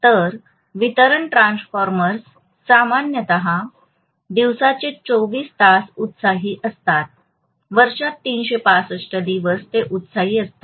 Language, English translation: Marathi, So distribution transformers normally will be energized 24 hours a day, 365 days in a year all the time they will be energized